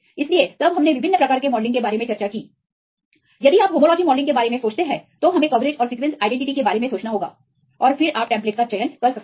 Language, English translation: Hindi, So, then we discussed about the different types of modelling right if you the homology modelling we need to think about see the coverage plus the sequence identity and then you can choose the template